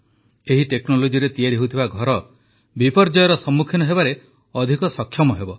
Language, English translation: Odia, Houses made with this technology will be lot more capable of withstanding disasters